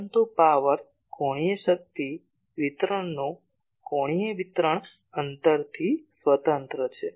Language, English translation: Gujarati, But angular distribution of power angular power distribution is independent of distance